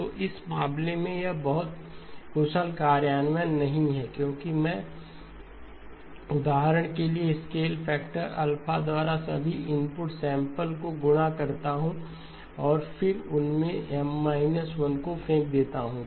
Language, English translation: Hindi, So in this case this is not a very efficient implementation because I multiply all the input samples by the scale factor alpha for example and then throw away M minus 1 of those